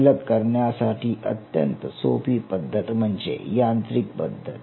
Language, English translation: Marathi, easiest way to dissociate will be mechanically